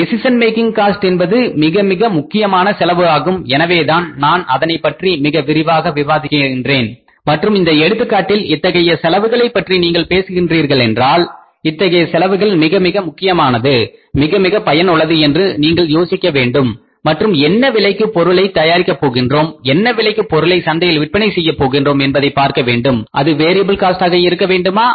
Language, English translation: Tamil, So, decision making cost that is why I had a very long discussion with you that decision making costs are very very important cost and in this case if you talk about these costs we will have to think about that these costs are very very important, very useful and we will have to see that at what cost we have to miss what is the cost of manufacturing the product and what is the cost of selling the product at what cost we have to sell the product in the market that is the decision making cost whether it has to be a variable cost or it has to be a fixed cost